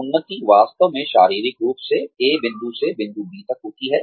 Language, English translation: Hindi, Advancement is, actually, physically, making a move from, point A to point B